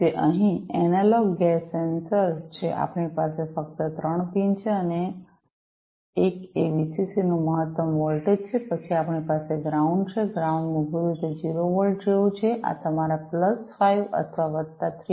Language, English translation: Gujarati, It is a analogue gas sensor here we have three pins only; one is the maximum voltage the VCC then we have the ground; ground is basically like 0 volts, this is like your plus 5 or plus 3